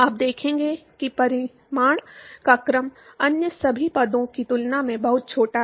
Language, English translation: Hindi, You will see that order of magnitude is much smaller than all the other terms